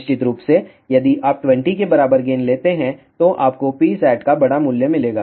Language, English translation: Hindi, Of course, if you take gain equal to 20, you will get a larger value of P oscillator